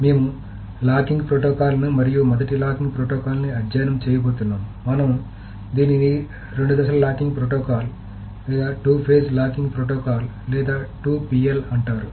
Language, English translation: Telugu, So, we are going to study locking protocols and the first locking protocol that we will study is called the two phase locking protocol or the 2PL